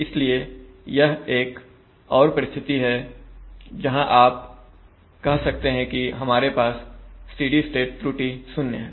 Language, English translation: Hindi, So that is the principle by which 0 steady state error is obtained